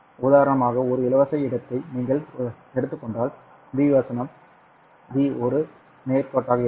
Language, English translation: Tamil, If you take, for example, a free space, then B versus V would have been a straight line